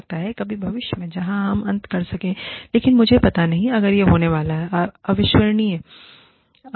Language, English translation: Hindi, Maybe, sometime in the future, where, we could end up, I do not know, if it is going to happen again, disclaimer